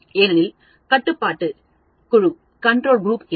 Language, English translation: Tamil, Because there was no control group